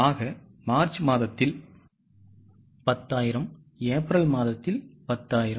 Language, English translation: Tamil, Fine, so 10,000 in the month of March, 10,000 in the month of April